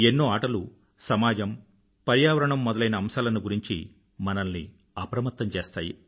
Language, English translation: Telugu, Many games also make us aware about our society, environment and other spheres